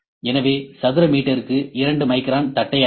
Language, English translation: Tamil, So, the 2 micron per meter square is the flatness